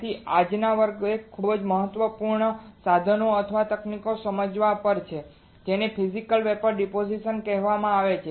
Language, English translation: Gujarati, So, today's class is on understanding a very important equipment or a technique which is called Physical Vapour Deposition